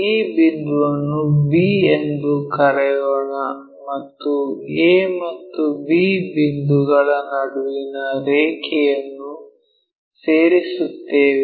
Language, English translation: Kannada, Let us call this point b and join a and b